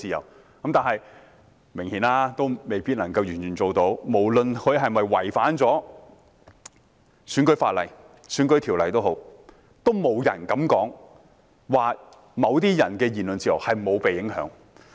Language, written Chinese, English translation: Cantonese, 但很明顯，在今次的選舉中，這一切都未必能夠完全做到，無論是否有違反選舉條例，也沒人敢說某些人的言論自由並未受到影響。, But obviously all of these may not have been upheld in this election . Disregarding whether there is any breach of the electoral legislation nobody dares say the freedom of speech of some people has not been affected